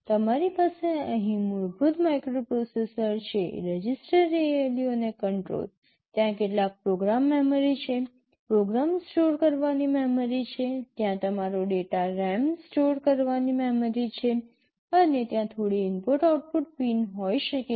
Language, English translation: Gujarati, You have the basic microprocessor here, register, ALU and the control, there is some program memory, a memory to store the program, there is a memory to store your data and there can be some input output pins